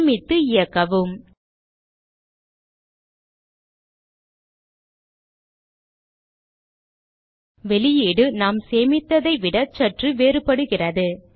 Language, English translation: Tamil, Save it and Run it we see, that the output is little different from what has been stored